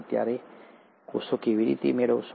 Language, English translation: Gujarati, But then, how do you get to cells